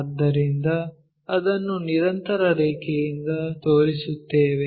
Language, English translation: Kannada, So, we show it by a continuous line